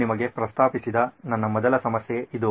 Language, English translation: Kannada, This is my first problem that I proposed to you